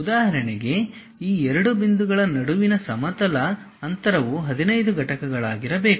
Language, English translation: Kannada, For example, the horizontal distances between these 2 points supposed to be 15 units